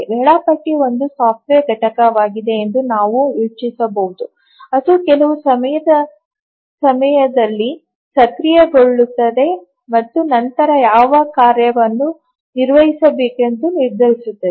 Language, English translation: Kannada, We can think of that a scheduler is a software component which becomes active at certain points of time and then decides which has to run next